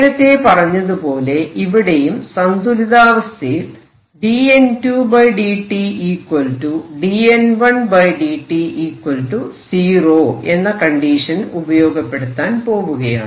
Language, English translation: Malayalam, So, again we are going to say that at equilibrium dN 2 by dt is equal to dN 1 by dt is going to be 0